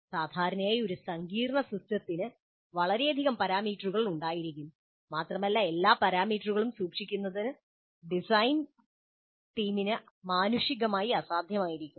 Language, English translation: Malayalam, Usually a complex system will have too many parameters and it will be humanly almost impossible for the design team to take care of all the parameters